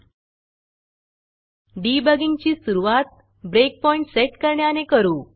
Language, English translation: Marathi, To start with the debugging, let us first set the breakpoint